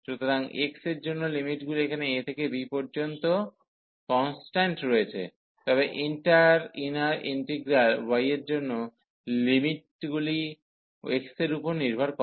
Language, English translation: Bengali, So, for the x limits are constant here a to b, but for the inter inner integral y the limits were depending on x